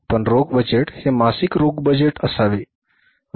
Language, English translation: Marathi, You call it as that is the monthly cash budget